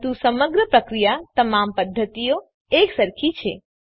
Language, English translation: Gujarati, But the overall procedure is identical in all the methods